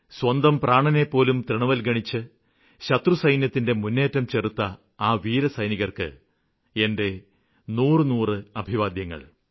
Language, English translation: Malayalam, I would like to salute all our brave soldiers who thwarted the attempts by our enemies without caring for their lives